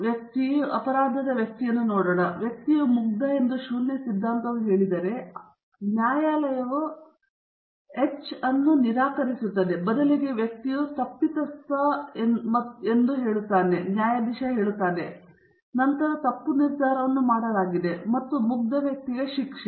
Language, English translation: Kannada, If the null hypothesis says that person accused of a crime is innocent, and the court rejects that hypothesis H naught, and instead says the person is actually guilty, and convicts him, then a wrong decision has been made, and an innocent person has been punished